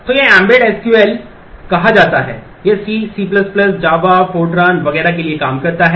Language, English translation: Hindi, So, this is called the embedded SQL, it works for C, C++ , java fortran etcetera